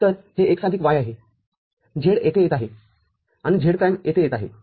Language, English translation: Marathi, So, this is x plus y; z will be coming here and z prime will be coming here